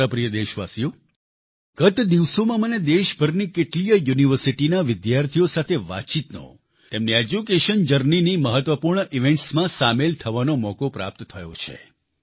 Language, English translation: Gujarati, in the past few days I had the opportunity to interact with students of several universities across the country and be a part of important events in their journey of education